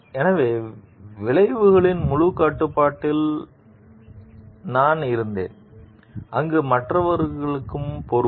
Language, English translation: Tamil, So, was I full control for the consequences, where other people responsible also